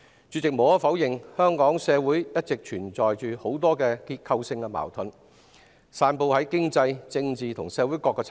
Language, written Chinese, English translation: Cantonese, 主席，無可否認，香港社會一直存在很多結構性矛盾，遍及經濟、政治及社會各個層面。, President it is undeniable that there are many structural contradictions in Hong Kong society which cover economic political and social aspects